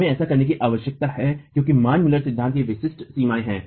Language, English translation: Hindi, We need to do that because there are specific limitations of the Manmuller theory